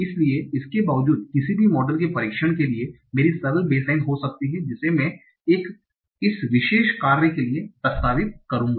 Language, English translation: Hindi, So this might be my simple baseline for testing any of the model that I will propose for this particular task